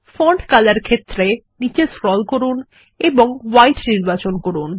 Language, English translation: Bengali, In Font color field, scroll down and select White